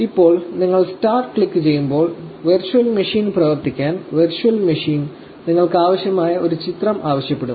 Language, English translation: Malayalam, Now, as soon as you click start, the virtual machine will ask you for an image that you need to give it for the virtual machine to run